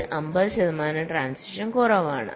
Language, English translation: Malayalam, so it is fifty percent less transitions